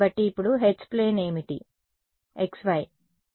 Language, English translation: Telugu, So, what is the H plane now the x y right